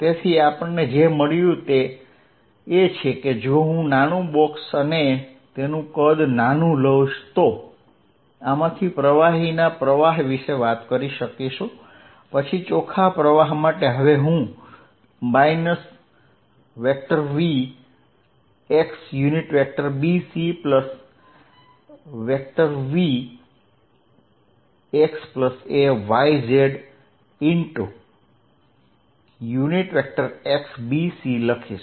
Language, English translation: Gujarati, So, what we found is that if I take a small box a very small volume and talk about this fluid flow through this, then the net flow with now I am going to write as v dot x and we had written remember b c plus v at x plus a y z dot x d c